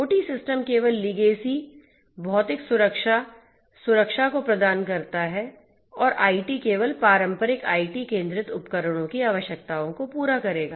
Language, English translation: Hindi, OT systems only deploy legacy physical security protections and IT ones will only cater to the requirements of the traditional IT centric equipments